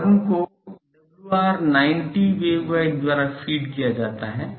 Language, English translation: Hindi, The horn is fed by a WR 90 waveguide